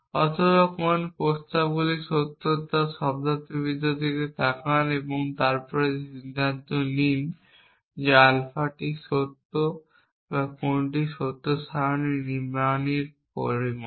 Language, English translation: Bengali, Or look at the semantics as to which propositions are true and then decided the alpha is true or not that amounts to constructing a truth table